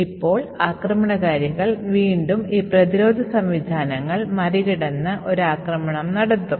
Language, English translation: Malayalam, Now the attackers again would find a way to bypass this defense mechanisms and still get their attack to run